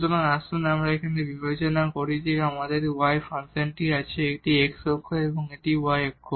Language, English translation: Bengali, So, let us consider here we have the function y so, this is x axis and this is your y axis